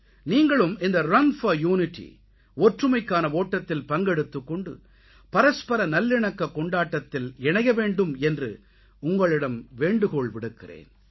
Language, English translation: Tamil, I urge you to participate in Run for Unity, the festival of mutual harmony